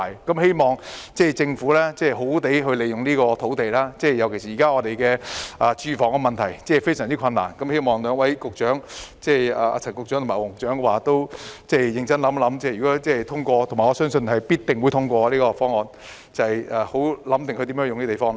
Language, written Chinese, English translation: Cantonese, 我希望政府好好善用這幅用地，特別是香港現時的住屋問題非常嚴重，我希望兩位局長——即陳局長和黃局長認真想想，如果議案通過——我相信這項議案必定會通過——應怎樣使用這幅用地。, I hope the Government can make good use of the land to be released especially when Hong Kong is facing acute housing problems . I hope the two Secretaries concerned Mr CHAN and Mr WONG can think carefully how the land can be used should the Motion be passed and I believe that it will be passed